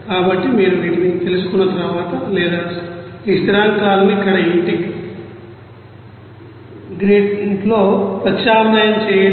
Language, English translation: Telugu, So, once you know these or substitute this you know this constants here in this integrant